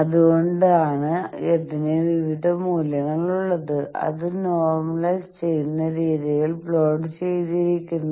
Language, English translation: Malayalam, So that is why it has various values which are plotted in normalize way